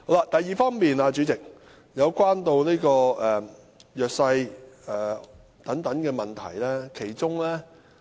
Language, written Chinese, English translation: Cantonese, 第二點，代理主席，是有關弱勢社群的問題。, The second point Deputy President is about the problems of the disadvantaged